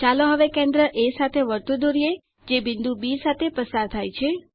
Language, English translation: Gujarati, Let us now construct a circle with center A and which passes through point B